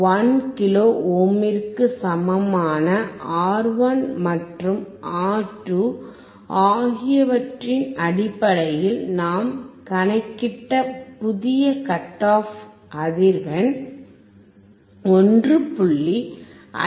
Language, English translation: Tamil, The new cut off frequency that we have calculated based on R1 and R2, equal to 1 kilo ohm, is 1